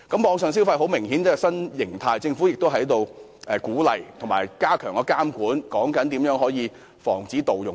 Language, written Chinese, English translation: Cantonese, 網上消費明顯是一種新形態，政府應該鼓勵及加強監管，研究如何防止盜用。, Online consumption is obviously a new model . While the Government should give encouragement it should also strengthen the monitoring and look into ways to prevent fraudulent use